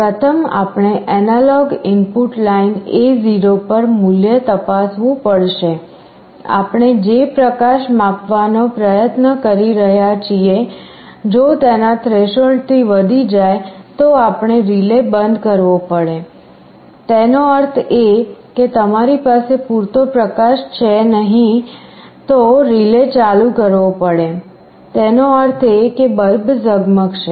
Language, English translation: Gujarati, The steps as shown here will be running in a repetitive loop First we will have to check the value on the analog input line A0, if it exceeds the threshold level for the light that we are trying to sense you turn off the relay; that means, you have sufficient light otherwise turn on the relay; that means, the bulb will glow